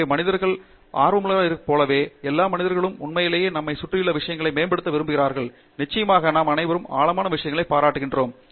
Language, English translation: Tamil, So, just like humans are curious, all the humans want to actually improve things around us and we of course, all have very appreciation for beautiful things